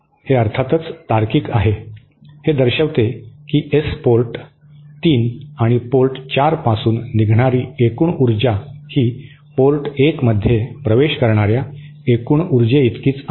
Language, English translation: Marathi, This is of course logical, this shows that the total power leaving from S port 3 and port 4 is equal to the total power entering port 1